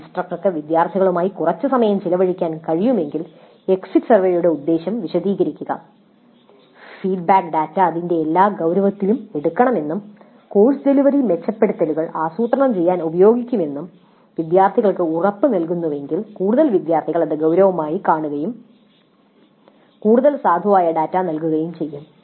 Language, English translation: Malayalam, So if the instructor can spend some quality time with the students, explain the purpose of the exit survey, assure the students that the feedback data would be taken in all its seriousness and would be used to plan improvements for the course delivery, then it is more likely that the students would take it seriously and provide more valid data